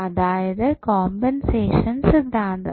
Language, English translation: Malayalam, So, this is what compensation theorem says